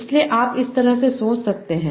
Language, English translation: Hindi, So you can think of it like like that